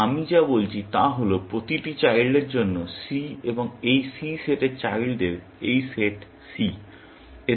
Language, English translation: Bengali, So, what I am saying is that for each child, c belonging to this set of children c; this set is c